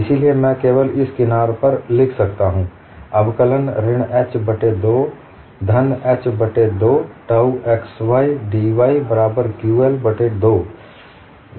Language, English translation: Hindi, So I can only write on this edge, integral minus h by 2, to plus h by 2, tau xydy, equal to, qL by 2